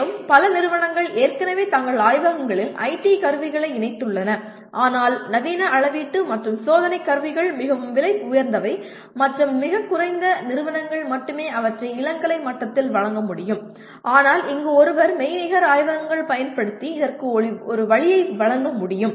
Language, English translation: Tamil, And many institutions have already incorporated IT tools into their laboratories but modern measurement and testing tools are very expensive and very few institutions can afford them at undergraduate level but one can this is where one can use the virtual laboratories, can provide an avenue for this